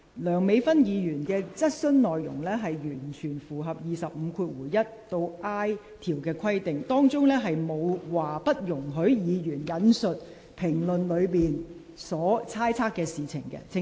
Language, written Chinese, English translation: Cantonese, 梁美芬議員的質詢內容完全符合《議事規則》第25條1款 a 至 i 段的規定，當中條文並沒有列明不容許議員引述評論的事情，請你留意。, Please note that the content of Dr Priscilla LEUNGs question is totally in line with the provisions of Rule 251a to i of the Rules of Procedure in which there is no requirement disallowing a Member to quote some comments from others